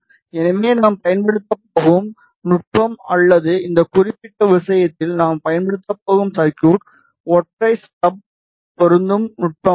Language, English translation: Tamil, So, the technique that we are going to use or the circuit that we are going to use in this particular case is single stub matching technique